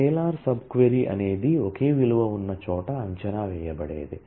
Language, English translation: Telugu, A scalar sub query is one; where there is a single value is expected